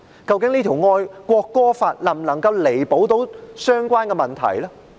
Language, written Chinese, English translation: Cantonese, 究竟這條國歌法能否彌補相關的問題呢？, Can this national anthem law mend the problems?